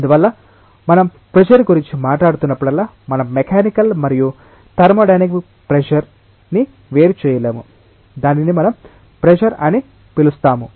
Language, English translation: Telugu, And therefore, whenever we will be talking about pressure, we will not be distinguishing the mechanical and the thermodynamic pressure we will be just calling it as pressure